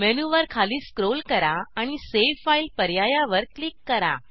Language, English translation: Marathi, Scroll down the menu and click on save file option